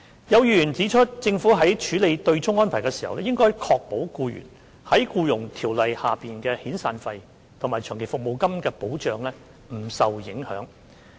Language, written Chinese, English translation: Cantonese, 有議員指出，政府在處理對沖安排的同時，應確保僱員在《僱傭條例》下的遣散費及長期服務金不受影響。, Some Members have pointed out that when addressing the offsetting arrangement the Government should ensure that employees severance payments and long service payments under the Employment Ordinance will not be affected